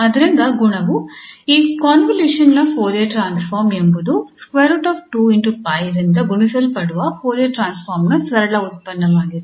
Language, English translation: Kannada, So, the property says that the Fourier transform of this convolution here is the simple product of the Fourier transform multiplied by square root 2 pi